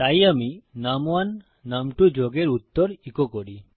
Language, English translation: Bengali, So I echo out the answer of num1 added to num2